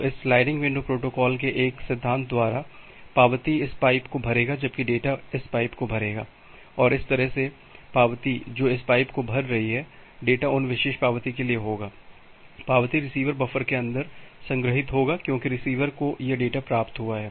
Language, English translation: Hindi, So, by a principle of this sliding window protocol, the acknowledgement will filled up this pipe where as the data, will filled up this pipe, and that way the acknowledgement which are filling up this pipe, the data will for those particular acknowledgement will be stored inside the receiver buffer because receiver has received this data